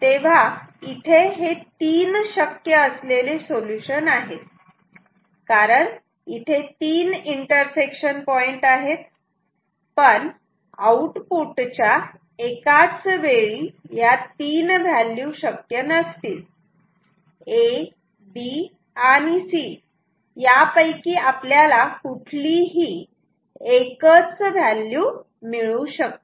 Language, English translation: Marathi, So, there are three possible solutions because we have 3 intersects inter intersections so, but output cannot take 3 values at the same time output can take only 1 value